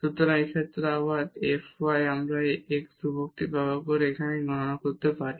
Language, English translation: Bengali, So, in this case again f y we can compute here by treating this x constant